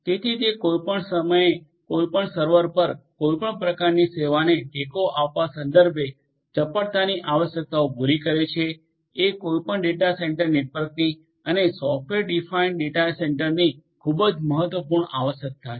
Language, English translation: Gujarati, So, catering to agility requirements with respect to supporting any kind of service on any server at any time is a very important requirement of any data centre network and definitely for software defined data centre